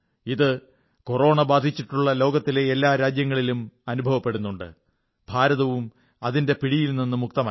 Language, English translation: Malayalam, This is the situation of every Corona affected country in the world India is no exception